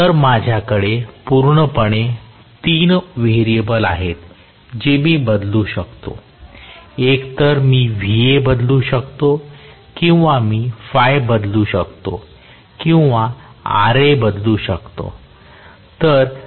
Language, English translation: Marathi, So, I have totally 3 variables that I can change, either Va I can change or phi I can change or Ra I can change